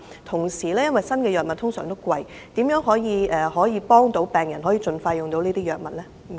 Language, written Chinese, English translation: Cantonese, 同時，新藥物通常都是昂貴的，政府如何幫助病人盡快使用這些藥物呢？, And given that new drugs are usually costly how will the Government help patients access to these drugs expeditiously?